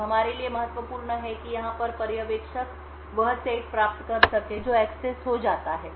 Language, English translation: Hindi, Now important for us to observer over here is the set which gets accessed